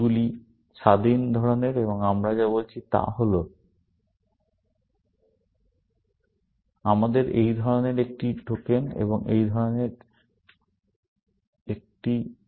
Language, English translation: Bengali, These are kind of independent and all we are saying is that we should have one token of this kind, and one token of this kind